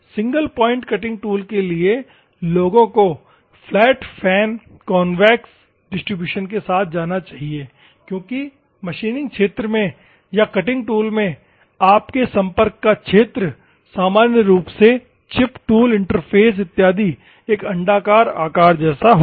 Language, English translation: Hindi, For single point cutting tool, people should go for, the flat fan with convex distribution because your area of contact in the machining region or in the cutting tool normally chip tool interface and other things will have an elliptical shape and other things